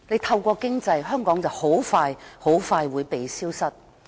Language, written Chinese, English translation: Cantonese, 透過經濟把香港大陸化，香港很快便會"被消失"。, Hong Kong is being Mainlandized through economic means and will soon be made to disappear